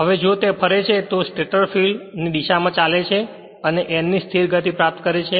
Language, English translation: Gujarati, Now if it rotate it runs in the direction of the stator field and acquire a steady state speed of n right